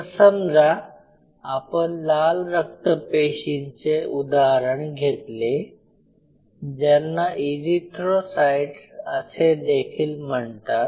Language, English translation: Marathi, So, if you taken for example, if we take the example of RBC or red blood cell which is also called erythrocytes